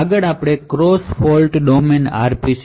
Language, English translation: Gujarati, So next we will look at the cross fault domain RPCs